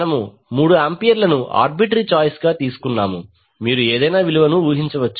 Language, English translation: Telugu, We have taken 3 ampere as an arbitrary choice you can assume any value